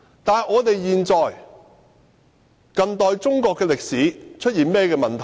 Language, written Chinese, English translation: Cantonese, 那麼究竟近代中國歷史出現了甚麼問題？, So what mistakes have been made in contemporary Chinese history?